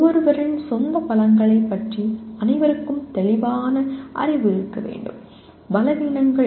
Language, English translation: Tamil, Everyone should have clear knowledge about one’s own strengths and weaknesses